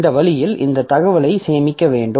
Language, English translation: Tamil, So, that way this information has to be stored